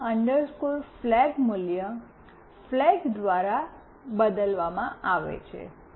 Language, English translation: Gujarati, The old flag value is replaced by flag